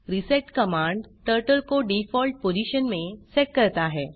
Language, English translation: Hindi, reset command sets Turtle to its default position